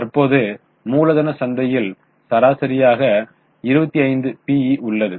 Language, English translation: Tamil, Currently, capital market has an average P